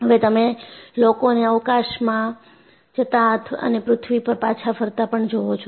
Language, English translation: Gujarati, See, now you find people go to space and come back to earth